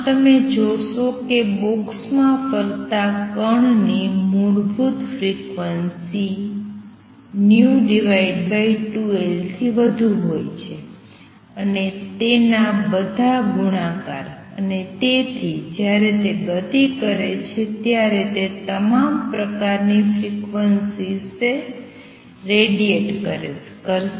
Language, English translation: Gujarati, Thus, you see that the particle moving in a box has the fundamental frequency V over 2 L and all its multiples and therefore, when it performs motion, it will radiate all kinds of frequencies